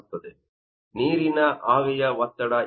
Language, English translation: Kannada, The partial pressure of water